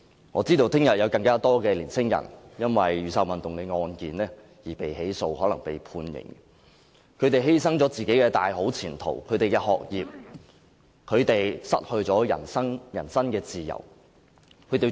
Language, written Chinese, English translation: Cantonese, 我知道明天會有更多年輕人因為雨傘運動的案件而被起訴，亦可能被判刑，他們可能因此而犧牲自己的大好前途、學業，失去人身自由。, I know that tomorrow more young people will be prosecuted for taking part in the Umbrella Movement and they may also be sentenced to prison . They may thus lose their prospects studies and freedom